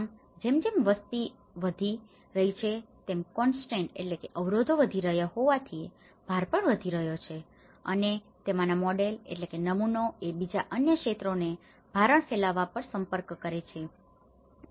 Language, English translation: Gujarati, So now, as the population have increased as the constraints have increased as the load has increased and that is where many of the models have approached on spreading the load to the other sectors the other bodies